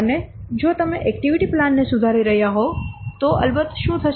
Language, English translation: Gujarati, And if you are revising the activity plan, then of course what will happen